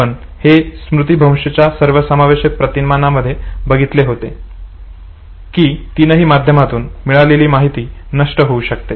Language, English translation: Marathi, And we saw in the comprehensive model of memory that loss of information takes place from all the three channels